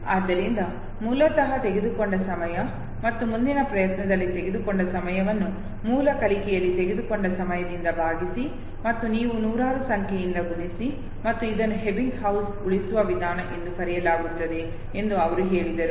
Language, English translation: Kannada, So time taken originally and time taken in the next attempt divided by the time taken in the original learning and you multiplied by hundreds and he said this is what is called as Ebbinghaus saving method